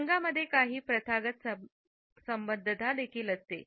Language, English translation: Marathi, Colors also have certain customary associations